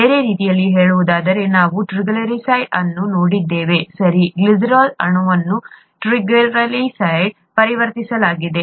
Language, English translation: Kannada, In other words, we, we saw the triglyceride, right, the glycerol molecule being converted into triglycerides